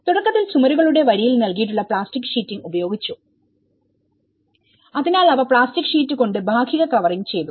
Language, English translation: Malayalam, For the outset and used the plastic sheeting provided to the line of the walls, so they covered with a kind of partial covering with a plastic sheet